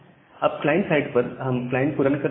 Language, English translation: Hindi, Now, from the client side we can run the client